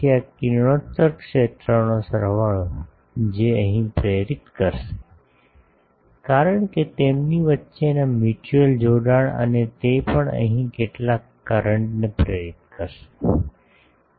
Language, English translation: Gujarati, So, sum of this radiated field that will induce here, because the mutual coupling between them and that will also induce some current here